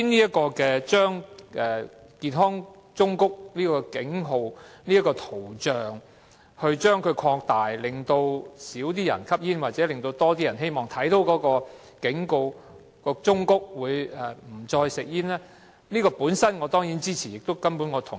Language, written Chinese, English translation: Cantonese, 政府今天提出擴大健康忠告圖像的比例，希望減少市民吸煙或令更多人在看到警告後不再吸煙，我當然支持這建議。, Today the Government proposes to increase the proportion of health warning images in the hope of reducing smoking among people and encouraging more people to quit smoking after seeing the relevant warnings